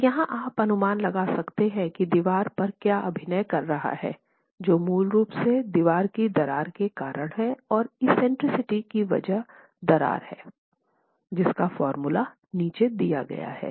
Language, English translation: Hindi, So, here you're going to be estimating what the moment is acting on the wall, which is basically due to the cracking of the wall and the eccentricity cost because of the cracking